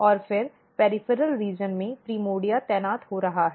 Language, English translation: Hindi, And then in the peripheral region the primordia is getting positioned